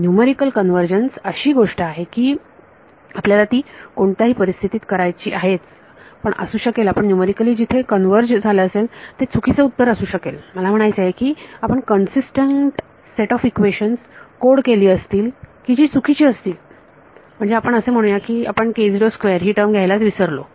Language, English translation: Marathi, Numerical convergence is something that you have to do any way, but it may be that you have converged numerically to the wrong answer; I mean you have coded a consistent set of equations which are wrong like let us say you forgot the k naught squared term altogether